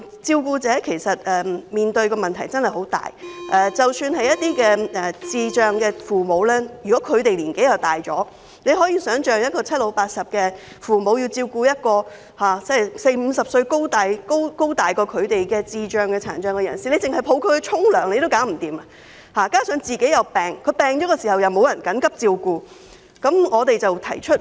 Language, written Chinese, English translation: Cantonese, 照顧者其實面對的問題真的很大，一些照顧智障人士的父母年紀已很大，你可以想象七老八十的父母要照顧比他們還要高大的四五十歲智障、殘障人士，單單是扶抱他們去洗澡也做不到；如果他們自己也生病，便沒有人能幫忙緊急照顧智障、殘障子女。, Some of the parents of children with intellectual disabilities are very advanced in age . Just imagine parents in their seventies and eighties have to lift their 40 - to 50 - year - old children with physical and intellectual disabilities who are taller than they are to bathe . If these parents fall sick there will be no one to help take care of their children with physical and intellectual disabilities right away